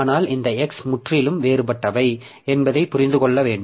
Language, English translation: Tamil, But you should understand that this x and this x they are totally different